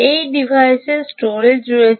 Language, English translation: Bengali, ok, there is storage on this device